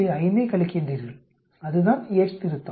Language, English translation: Tamil, 5 from there, that is the Yate's correction